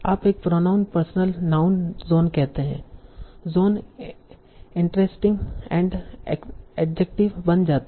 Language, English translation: Hindi, You say a personal noun, John, John's, interesting becomes an adjective